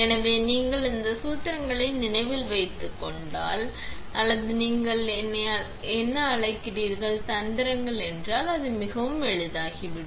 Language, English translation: Tamil, So, if you remember this formulas or this is, what you call, tricks then it becomes very easy